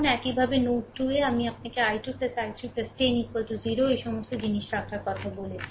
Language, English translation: Bengali, Similarly, at node 2, I told you i 2 plus i 3 plus 10 is equal to 0 put all this things